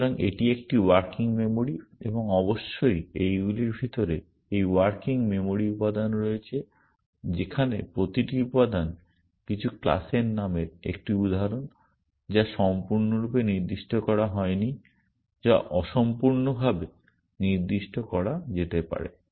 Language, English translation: Bengali, So, this is a working memory and inside these of course, there are this working memory elements where each element is an instance of some class name which maybe not completely specified, which maybe incompletely specified